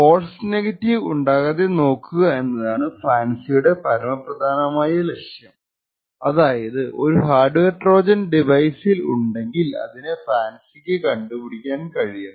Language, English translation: Malayalam, The entire aim of FANCI is to completely have no false negatives, which means that if a hardware Trojan is present in a device a FANCI should be able to detect it